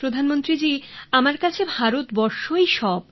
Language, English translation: Bengali, Prime minister ji, India means everything to me